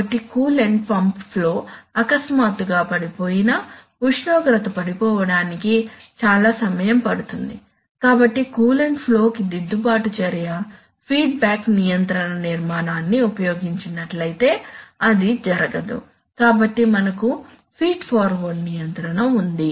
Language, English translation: Telugu, So even if the coolant pump flow suddenly falls, for the temperature to fall it takes a lot of time, so the, so there is, so the corrective action to the to the coolant flow does not take place if it is done using a, using the feedback control structure, so we have feed forward control